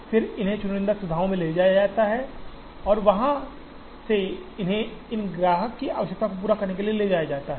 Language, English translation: Hindi, Then these are transported to the chosen facilities and from there, they are transported to meet the requirements of these customers